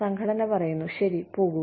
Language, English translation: Malayalam, And, the organization says, okay, go